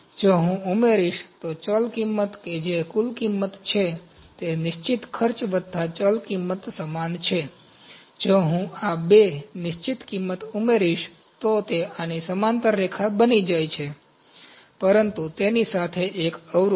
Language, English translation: Gujarati, If I add, variable cost that is total cost is equal to fixed cost plus variable cost, if I add these two, the fixed cost, it becomes a line parallel to this one, but an intercept with it